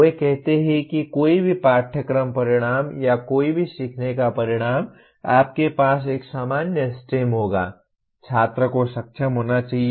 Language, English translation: Hindi, They say any course outcome or any learning outcome you will have a common stem: “Student should be able to”